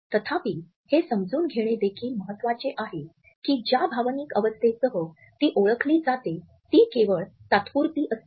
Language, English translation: Marathi, However, it is also important to realize that the emotional state which is identified with it should be only temporary